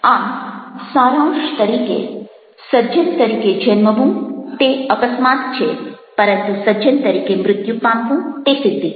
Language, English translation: Gujarati, so just to conclude, to be born a gentleman is an accident, but to die a gentleman is an achievement